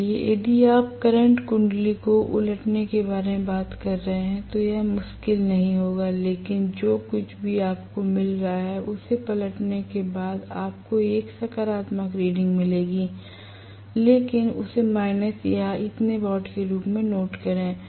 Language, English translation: Hindi, So, you would not this difficultly if we are talking about reversing the current coil, but whatever you got as may be after reversing you will get a positive reading but note it down as minus so and so watt